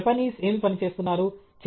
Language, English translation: Telugu, What are the Japanese working on